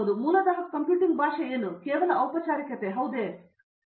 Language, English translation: Kannada, Now, what is this language of computing you just basically formalism, right